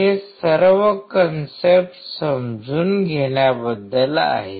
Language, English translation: Marathi, It is all about understanding the concept